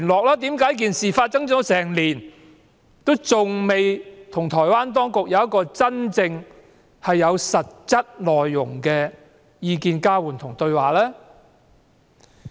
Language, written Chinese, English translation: Cantonese, 為甚麼在事件發生一整年後，還未與台灣有實質的交換意見和對話呢？, A year has passed since the murder but why isnt there any concrete exchange of views or dialogue between the Government and Taiwan?